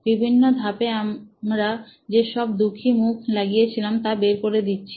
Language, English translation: Bengali, We can pull out all the sad faces that we put on steps